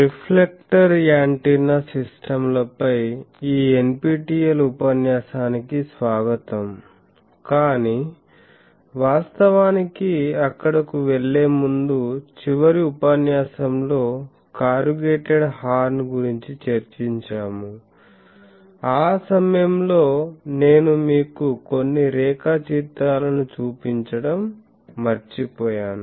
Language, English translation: Telugu, Welcome to this NPTEL lecture on Reflector Antenna systems, but before going there actually in the last lecture we have discussed about corrugated horn that time I forgot to show you some diagrams